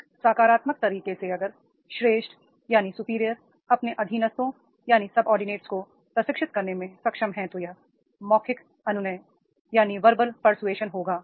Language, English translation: Hindi, In a positive way if the superior they are able to train their subordinates then that will be verbal persuasion is there